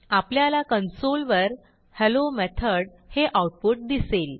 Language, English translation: Marathi, We see the output Hello Method and 7